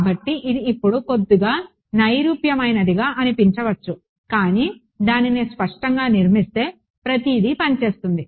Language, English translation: Telugu, So, it might seem a little abstract now, but will build it explicitly everything will work it out